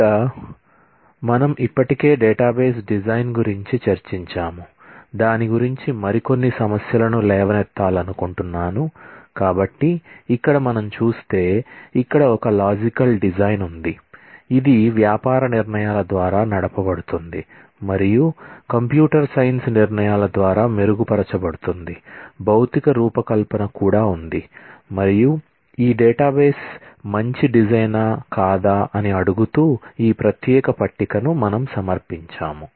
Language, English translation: Telugu, So, we have seen that, there is a logical design which is driven by the business decisions and refined by the computer science decisions, there is a physical design as well; and based on that we had at presented this particular table asking, whether, this database is a good design or not